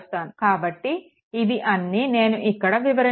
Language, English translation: Telugu, So, all this things are explained here